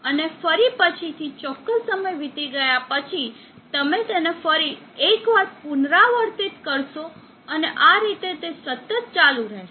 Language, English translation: Gujarati, And next again after certain time has elapsed, you will repeat it once again and so on it keeps continuing